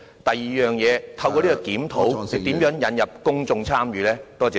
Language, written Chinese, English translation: Cantonese, 第二，局長如何透過有關檢討，引入公眾參與？, Second how will the Secretary introduce public participation through the review?